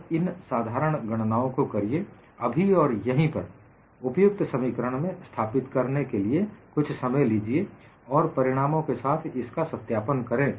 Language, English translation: Hindi, So, do these simple calculations then and there, take a minute for substituting it in the relevant expression, and verify it with my result